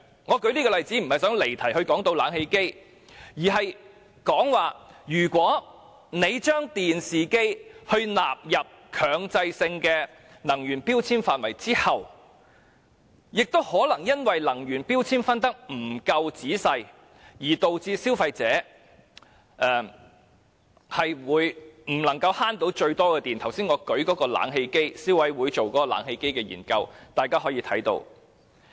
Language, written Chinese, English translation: Cantonese, 我舉出這個例子並不是想離題討論冷氣機，而是當政府把電視機納入強制性標籤計劃後，可能會因能源標籤的分級不夠仔細，以致消費者未能節省最多電量，而這從我剛才舉出有關消委會就冷氣機進行的研究的例子便可以看到。, In giving this example I do not want to digress from the subject to discuss air conditioners; I just want to point out after the Government has included TVs in MEELS consumers may not be able to save the largest amount of electricity due to the rough classification of the energy efficiency grading as evident from the study conducted by the Consumer Council on air conditioners as I have just mentioned